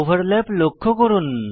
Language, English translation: Bengali, Observe negative overlap